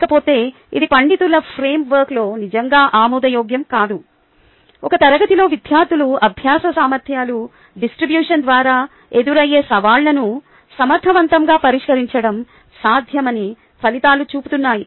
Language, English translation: Telugu, ah, in a scholarly framework, the results show that it is possible to effectively address the challenge posed by the distribution of student learning abilities in a class